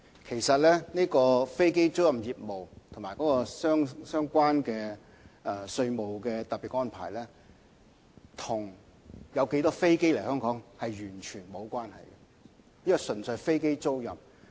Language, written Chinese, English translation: Cantonese, 其實飛機租賃業務和提供相關的稅務特別安排，跟有多少架飛機來香港完全無關，這業務純粹涉及飛機租賃。, Indeed aircraft leasing business and the special taxation arrangement are totally unrelated to the number of aircraft flying to and from Hong Kong . The sector only involves aircraft leasing